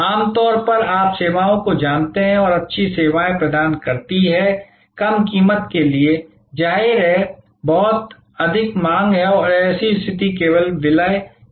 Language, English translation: Hindi, Normally, you know the services which are good services provided to the lower price; obviously, there in much higher demand and such a situation only merge